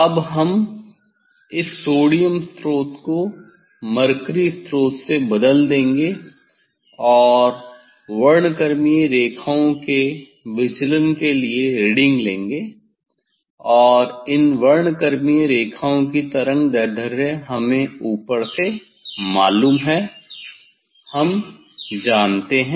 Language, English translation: Hindi, now, we will replace this sodium source with mercury source and take reading for the deviation of the spectral lines of the spectral lines and that spectral lines wavelengths are known from higher we know